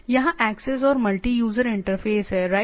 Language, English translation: Hindi, There is a access and multi user interface right